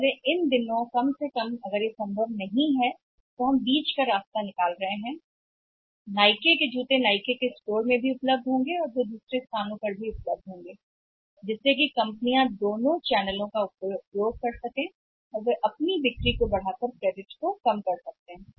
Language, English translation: Hindi, So, these days at least if that thing is not possible we are falling the middle path that has Nike shoes will be available at the Nike store also and they will be available at the other place is also so that both that changes can be used by the companies and maximize that can maximize the sales and minimise the credits